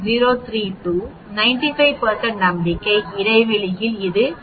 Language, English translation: Tamil, 032, for 95 % confidence interval it is 2